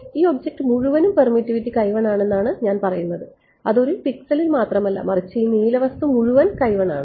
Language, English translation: Malayalam, So, what I am saying is that this entire object has permittivity x 1 not one pixel, but this entire blue object is x 1